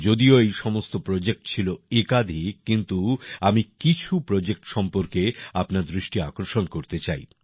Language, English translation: Bengali, Although all these projects were one better than the other, I want to draw your attention to some projects